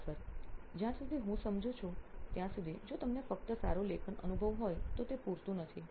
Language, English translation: Gujarati, So as far as I understand it is not enough if you have a good writing experience alone